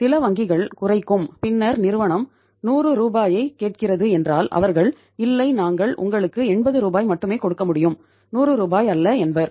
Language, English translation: Tamil, Bank will apply some cut and then they would say if the firm is asking for 100 Rs bank would say no we will be able to give you 80 Rs not 100 Rs